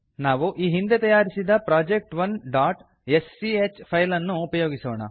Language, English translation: Kannada, We will use the file project1.sch created earlier